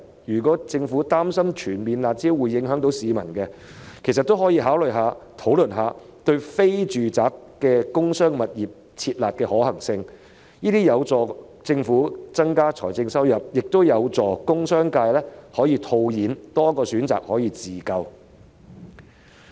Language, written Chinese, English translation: Cantonese, 如果政府擔心全面撤銷"辣招"會影響市民，其實也可以考慮及討論對非住宅的工商物業"撤辣"的可行性，這將有助政府增加財政收入，亦有助工商界套現，有多一個自救的選擇。, If the Government is concerned about the impact of a full revocation of the harsh measures on the public it can actually consider and discuss the possibility of revoking harsh measures targeting industrial and commercial properties other than residential properties . This will help increase the revenue of the Government and make available another self - help option to the industrial and commercial sectors to cash out